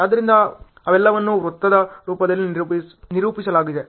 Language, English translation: Kannada, So those are all represented in circle form